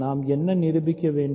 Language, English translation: Tamil, So, what is it that we have to prove